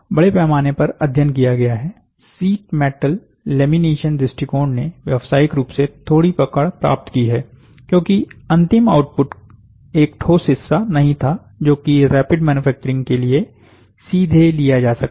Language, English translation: Hindi, Although extensively studied, sheet metal laminated, lamination approaches have gained little traction commercially, because the final output was not a solid part, which can be a directly taken for rapid manufacturing